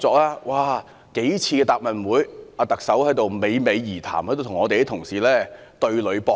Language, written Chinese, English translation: Cantonese, 特首多次在答問會上侃侃而談，與我們的同事對壘搏擊。, The Chief Executive talked about this assertively a number of times at the Question and Answer Session and debated and argued with our colleagues